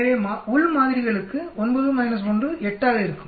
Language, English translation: Tamil, So within samples will be 9 minus 1, 8